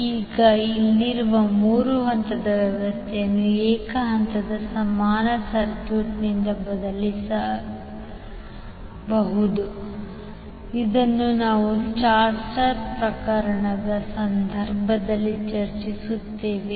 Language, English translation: Kannada, Now the 3 phase system here can be replaced by single phase equivalent circuit which we discuss in case of star star case